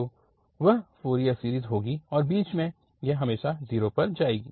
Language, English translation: Hindi, So that will be the Fourier series and this middle this will go to, will always pass to 0